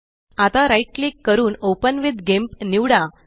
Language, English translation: Marathi, Now, right click and select Open with GIMP